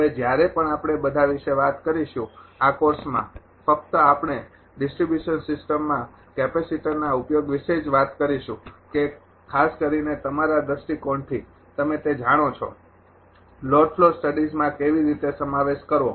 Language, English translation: Gujarati, Now, whenever ah whenever we talk about ah all the; this course only we will talk about the application of capacitor in distribution system only that particularly from the ah point of view of ah you know that; how to incorporate in load flow studies